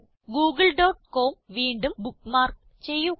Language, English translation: Malayalam, Lets bookmark Google.com again